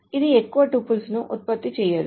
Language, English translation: Telugu, So, it doesn't produce any more tuple